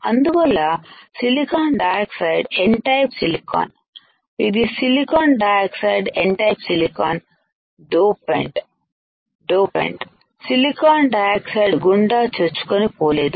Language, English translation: Telugu, So, the silicon dioxide the N type silicon; this is silicon dioxide N type silicon, the dopant cannot penetrate through SiO 2